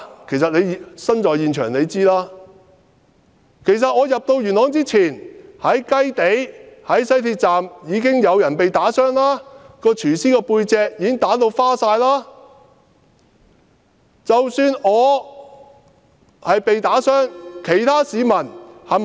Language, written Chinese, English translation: Cantonese, 其實他身處現場應該知道，在我入元朗之前，在雞地、西鐵站已經有人被打傷，有一名廚師被人打至背部傷痕累累。, In fact since he was at the scene he should have known that before I arrived in Yuen Long people had been assaulted and injured in Kai Tei and the West Line station . A cook was lashed with marks all over his back